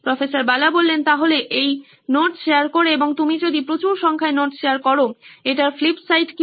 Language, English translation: Bengali, So in doing this notes share and if you share a high number of notes what is the flip side of this